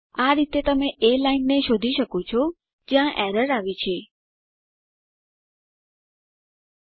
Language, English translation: Gujarati, This way you can find the line at which error has occured, and also correct it